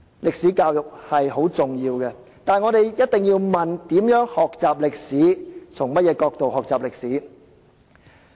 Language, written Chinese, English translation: Cantonese, 歷史教育十分重要，但我們一定要問應如何學習歷史及從甚麼角度學習歷史。, While history education is very important we must ask how history should be studied and from what perspectives should the study be conducted